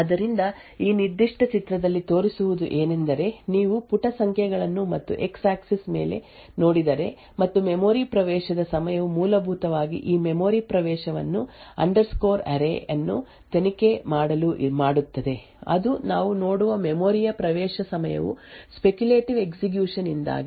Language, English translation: Kannada, So what has been shown in this particular figure is if you look at page numbers and on the x axis and the memory access time essentially make this memory access to probe underscore array what we see is that the memory access time due to the speculative execution may be a bit lower corresponding to the value of data